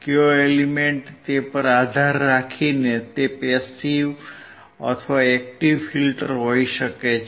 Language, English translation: Gujarati, Depending on the element, it can be passive or active filter